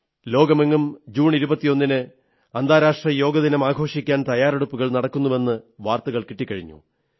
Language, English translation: Malayalam, The news being received these days is that there are preparations afoot in the whole world to celebrate 21st June as International Yoga Day